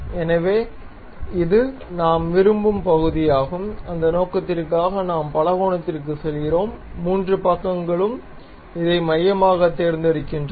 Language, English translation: Tamil, So, this is the portion where we would like to have, for that purpose we go to polygon 3 sides pick this one as center